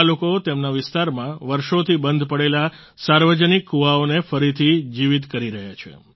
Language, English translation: Gujarati, These people are rejuvenating public wells in their vicinity that had been lying unused for years